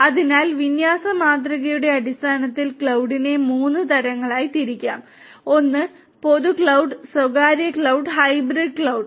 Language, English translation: Malayalam, So, based on the deployment model the cloud can be classified into three types one is the public cloud, private cloud and the hybrid cloud